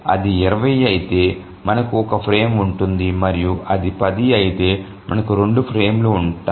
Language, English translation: Telugu, So if it is 20 we have just one frame and if it is 10 we have just 2 frames